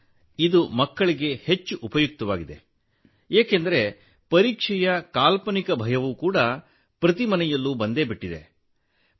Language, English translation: Kannada, Sir, this is most useful for children, because, the fear of exams which has become a fobia in every home